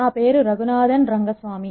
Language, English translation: Telugu, My name is Raghunathan Rengaswamy